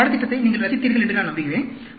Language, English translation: Tamil, So, I hope you enjoyed this course